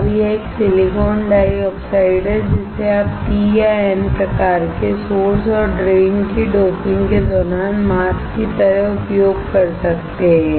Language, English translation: Hindi, Now, this is a silicon dioxide that that you can use the mask during the doping of P or N type source or drain